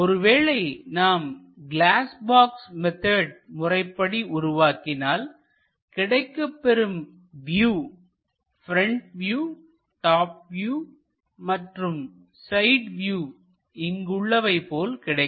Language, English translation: Tamil, If we are using glass box method, then the view will be something like front view and something like the top view and there will be something like a side view also we will get